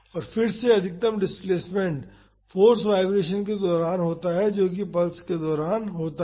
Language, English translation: Hindi, And, again the maximum displacement is during the force vibration that is during the pulse